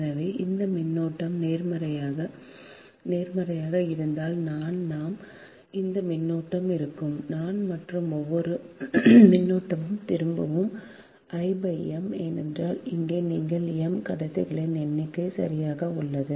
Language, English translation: Tamil, so if this current positive is i by i, this current will be minus i and each current returning at which will be minus i by m, because here you have m number of conductors, right, that means